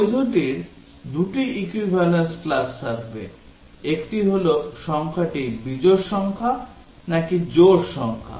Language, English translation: Bengali, The valid will have two equivalence classes; one are the, whether the number is an odd number whether it is an even number